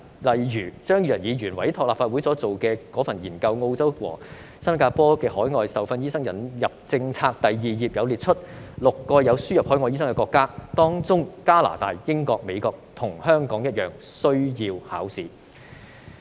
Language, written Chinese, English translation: Cantonese, 例如，張宇人議員委託立法會秘書處進行的《新加坡和澳洲的海外受訓醫生引入政策》研究，第2頁列出6個有輸入海外醫生的國家，當中加拿大、英國及美國和香港一樣，必須通過考試。, For instance among the six countries listed on page two of the research on the Admission of overseas - trained doctors in Singapore and Australia conducted by the Legislative Council Secretariat as commissioned by Mr Tommy CHEUNG examination is mandatory in Canada the United Kingdom and the United States just like in Hong Kong